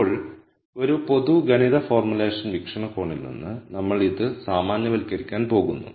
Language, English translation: Malayalam, Now, from a general mathematical formulation viewpoint, we are going to generalize this